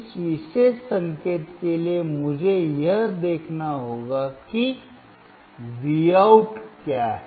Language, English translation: Hindi, For this particular signal, I have to observe what is Vout